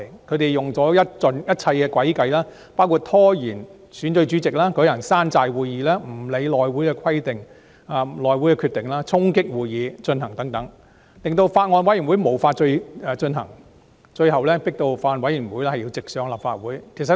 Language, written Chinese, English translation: Cantonese, 他們用盡一切詭計，包括拖延選舉主席、舉行"山寨會議"、無視內務委員會的決定、衝擊會議進行等，令法案委員會無法行事，最終迫使法案要直上立法會會議進行二讀辯論。, They have employed all kinds of trickery including delaying the election of the chairman holding bogus meetings ignoring the House Committees decisions storming the conduct of meetings etc disabling the Bills Committee and eventually forcing the Bill to be presented before the Legislative Council direct for the Second Reading debate